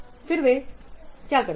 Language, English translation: Hindi, Then what they do